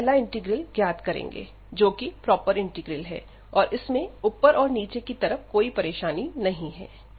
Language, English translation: Hindi, Now, we will evaluate first this integral, because it is a proper integral we have no problem at the lower end and also at the upper end